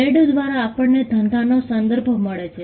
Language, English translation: Gujarati, By trade we refer to a business